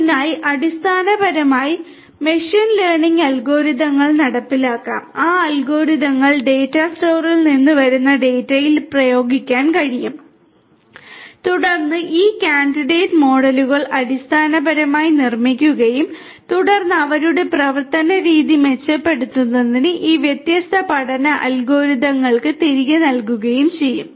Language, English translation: Malayalam, So, basically machine learning algorithms could be implemented those algorithms could be applied and applied on the data that comes from the data store and then these candidate models are basically built and then are fed back to these different learning algorithms to you know to improve upon their course of action